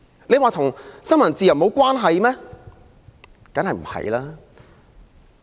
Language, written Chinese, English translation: Cantonese, 這與新聞自由無關嗎？, Is the matter unrelated to freedom of the press?